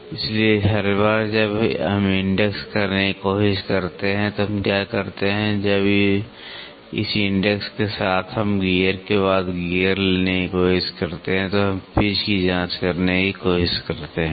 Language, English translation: Hindi, So, then every time what we do if we try to index, when with this index we try to take gear after gear after gear we try to check the pitch